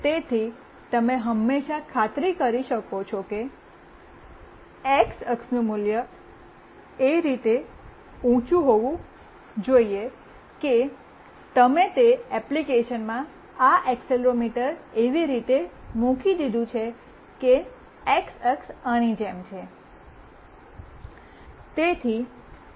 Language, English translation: Gujarati, So, you can always make sure that the x axis value should be high such that you have put up this accelerometer in that application in such a way that x axis is like this